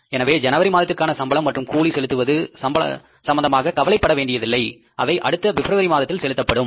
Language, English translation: Tamil, So, we need not to worry for the month of January, the payment of the salary and wages will be done in the month of February